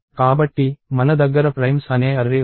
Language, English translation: Telugu, So, I have an array called primes